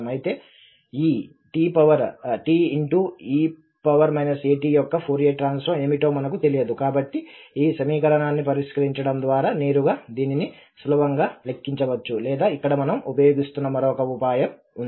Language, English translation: Telugu, However, we do not know what is the Fourier transform of this t e power minus a t, so we can compute this easily either directly by solving this equation or there is another trick here which we are using